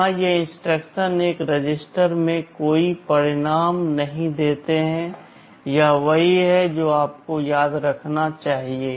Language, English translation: Hindi, Here these instructions do not produce any result in a register; this is what you should remember